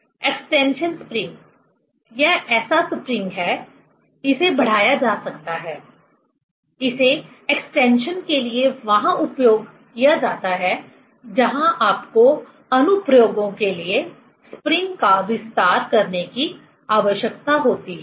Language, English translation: Hindi, Extension spring: this is the spring, it can be extended; it is used for extension where you need to extend the spring for applications